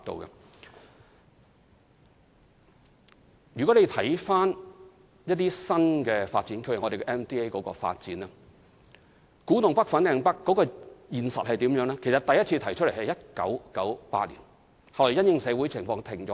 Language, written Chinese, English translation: Cantonese, 以某些新發展區的發展為例，古洞北/粉嶺北的發展計劃在1998年首次提出，後來因應社會情況而停頓下來。, In the case of the development of certain NDAs the development scheme of Kwu Tung North and Fanling North was first proposed in 1998 and later halted due to social conditions